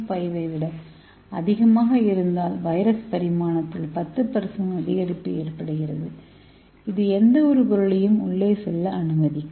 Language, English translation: Tamil, 5 there will be a increase 10% increase of viral dimension and it can easily allow the any materials to go inside